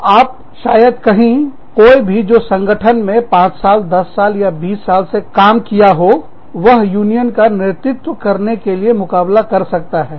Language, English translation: Hindi, So, you may say, okay, anyone, who has worked in the organization, for 5 years, 10 years, 20 years, can compete for the leadership of the union